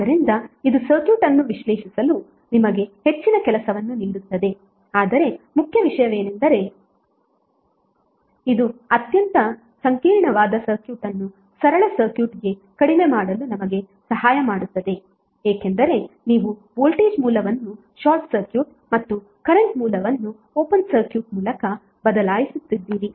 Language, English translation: Kannada, So this will be giving you more work to analyze the circuit but the important thing is that it helps us to reduce very complex circuit to very simple circuit because you are replacing the voltage source by short circuit and current source by open circuit